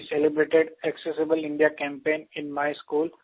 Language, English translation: Hindi, "Sir, we celebrated Accessible India Campaign in our school